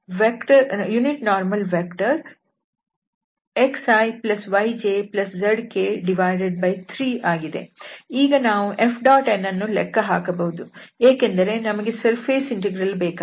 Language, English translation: Kannada, So now, the F dot n we can compute, because we need in the surface integral